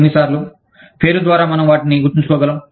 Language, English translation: Telugu, How many times, can we remember them, by name is